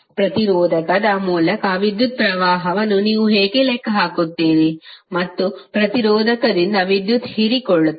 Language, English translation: Kannada, How you will calculate the current through resistor and power absorb by the resistor